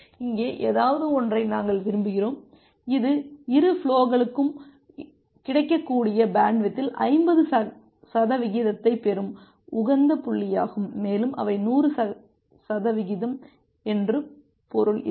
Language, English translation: Tamil, We want something here this is the optimal point where both the flows will get 50 percent of the 50 percent of the available bandwidth and together they will on the efficiency line that means the 100 percent